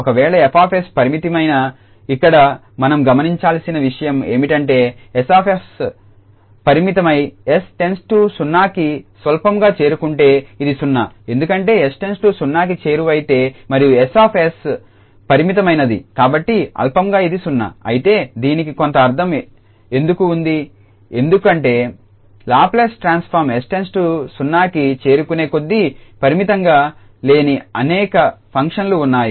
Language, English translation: Telugu, If F s is finite what we should note that here if F s is finite and s approaches to 0 trivially this is 0, because s approaches to 0 and F s is finite so trivially this is 0, but why the why this has some meaning because there are many functions whose Laplace transform is not finite as s approaches to 0